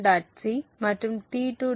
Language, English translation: Tamil, c and T2